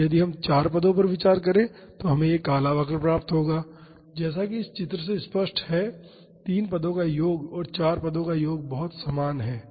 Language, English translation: Hindi, And, if we consider four terms we would get this black curve as it is evident from this picture the sum of three terms and sum of four terms are very identical